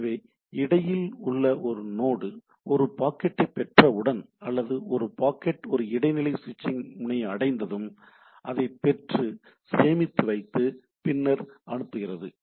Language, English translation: Tamil, So, once say intermediate node receives a packet, it once a packet reaches a intermediate switching node, it receives it, store it and forward it